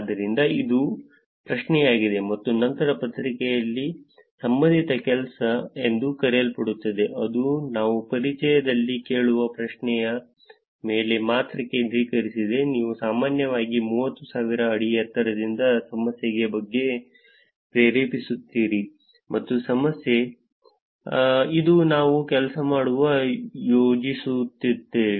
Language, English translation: Kannada, So, that is the question and then in the paper there is something called as related work, which is focused on only the question that we are asking in introduction, you kind of generally motivate from 30,000 feet height about the problem saying, this is the problem, this is what we are planning to work